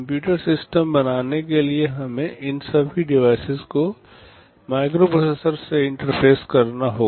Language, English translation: Hindi, To make a computer system we have to interface all these devices with the microprocessor